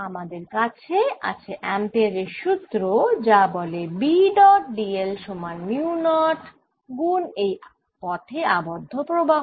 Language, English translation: Bengali, we have ampere's law that says integral b dot d l is equal to mu, not i, enclosed by that path